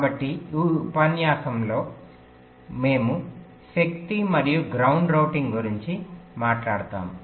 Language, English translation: Telugu, ok, so in this lecture we talk about power and ground routing